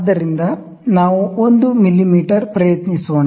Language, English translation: Kannada, So, let us try 1 mm